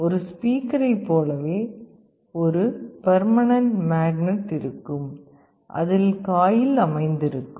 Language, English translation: Tamil, Just like a speaker there is a permanent magnet there will be magnetic field in which the coil is sitting